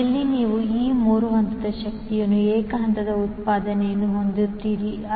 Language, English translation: Kannada, So, in houses you will have single phase output of this 3 phase power